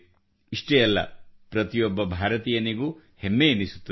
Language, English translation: Kannada, Not just that, every Indian will feel proud